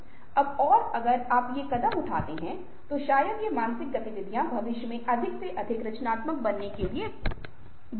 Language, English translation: Hindi, now, if you do these things, probably the step, these, these mental activities, are the stepping stone to becoming more and more creative in the future